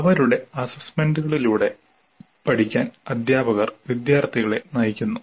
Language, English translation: Malayalam, Teachers guide the students to learn through their assessments